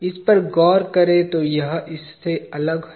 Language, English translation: Hindi, If you look at this, it is different from this